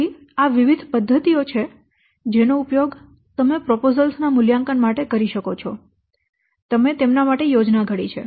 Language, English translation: Gujarati, So there are different methods that you can use for evaluating the what proposals you have to plan for them